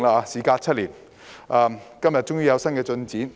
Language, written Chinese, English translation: Cantonese, 事隔7年，我們很高興今天終於有新進展。, Seven years on we are glad to see today that new progress has finally been made